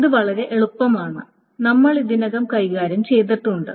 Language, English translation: Malayalam, That is very easy and that we have already handled